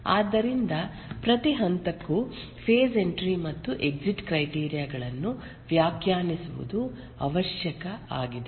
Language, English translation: Kannada, So, for every phase it is necessary to define the entry and exit criteria for that phase